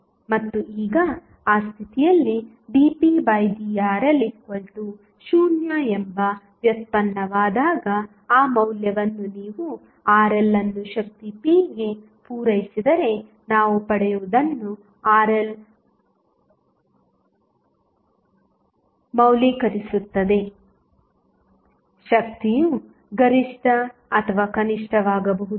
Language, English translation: Kannada, And now, as we know that at the when the derivative dp by dRl is equal to 0 at that condition, the Rl value what we get if you supply that value Rl into the power p, power might be maximum or minimum